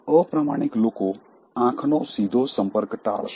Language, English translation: Gujarati, Dishonest people will avoid direct eye contact